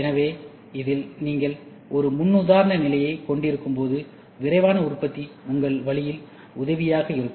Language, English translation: Tamil, So, in this when you have a paradigm shift, rapid manufacturing is going to be helpful in your way